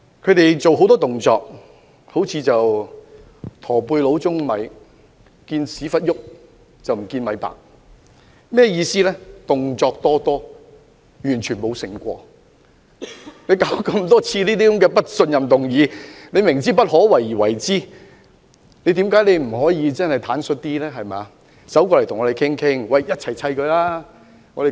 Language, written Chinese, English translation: Cantonese, 他們做了很多動作，好像"駝背佬舂米"般，"見屁股動，卻不見米白"，意思是他們動作多多，卻完全沒有清醒過來，他們多次提出不信任議案，明知不可為而為之，為何他們不能坦率一點，與我們商討，大家談妥後一起對付她？, Whilst they have done a lot they act like a hunchback man pounding rice―we can only see their buttocks move but the rice does not become white―which means that they have made a lot of efforts but they have not come round . They have proposed a motion on vote of no confidence on many occasions to attempt the impossible . Why can they not be a bit more candid and discuss with us so that we can deal with her together after reaching a consensus?